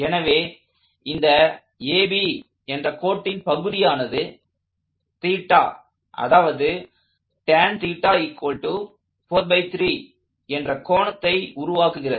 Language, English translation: Tamil, So, I have this line segment AB that makes this, that this theta such that tan theta equals 4 over 3